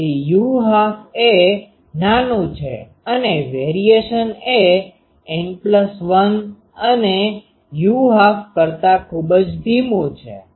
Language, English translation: Gujarati, So, u half is small and this variation is much slower than N plus 1 u half